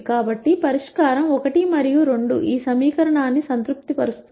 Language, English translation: Telugu, So, the solution 1 2 satisfies this equation